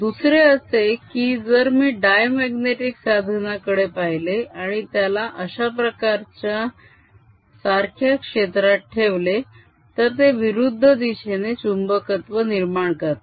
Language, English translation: Marathi, on the other hand, if i look at diamagnetic material and put it in the similar uniform field, it'll develop a magnetizationally opposite direction